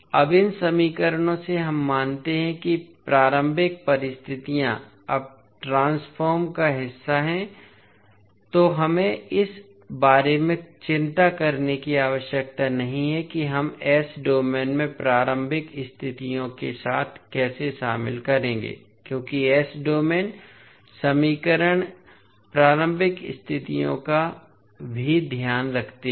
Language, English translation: Hindi, Now, from these equations we observe that the initial conditions are the now part of the transformation so we need not need not to worry about how we will incorporate with the initial conditions in s domain because the s domain equations take care of initial conditions also